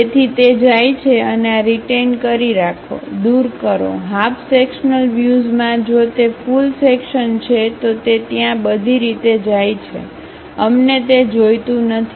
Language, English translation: Gujarati, So retain, remove; in half sectional views by if it is a full section it goes all the way there, we do not require that